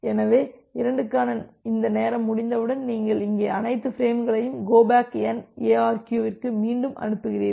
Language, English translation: Tamil, So, once this timeout for 2 will occur, you retransmit all the frames here so, in case of go back N ARQ